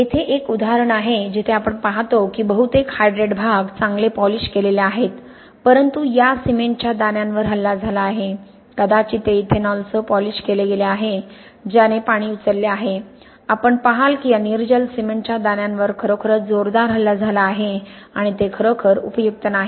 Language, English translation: Marathi, Here is a more subtle example where you see the most of the hydrate part is well polished but these cement grains have been attacked, maybe it was polished with ethanol which had picked up water, you see then these anhydrous cement grains have really heavily attacked and that is not really much use